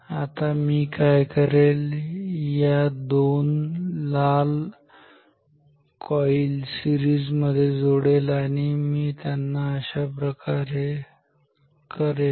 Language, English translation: Marathi, Now what I will do I will connect say this two red coils in a series and I will do it like this